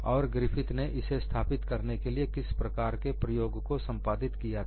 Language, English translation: Hindi, What is the kind of experiment with Griffith performed to establish this